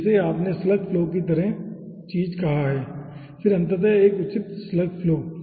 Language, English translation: Hindi, so this you have called a slug flow kind of thing